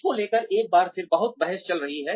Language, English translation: Hindi, Again, there is a lot of debate going on, about this